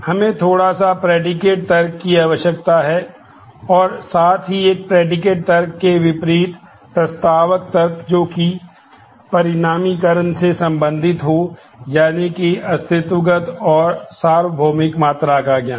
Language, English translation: Hindi, We need a little bit of predicate logic as well a predicate logic in contrast to propositional logic deals with quantification that the knowledge of existential and universal quantifier